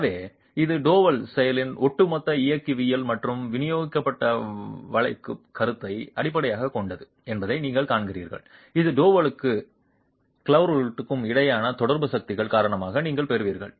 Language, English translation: Tamil, So, you see that it is based on the overall mechanics of the double action and the distributed bending moment that you will get due to the contact forces between the double and the grout itself